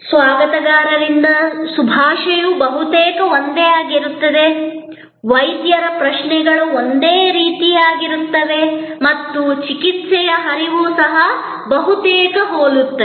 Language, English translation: Kannada, The greeting from the receptionist will be almost same, the Doctor’s questions will be of the same type and the flow of treatment will also be almost similar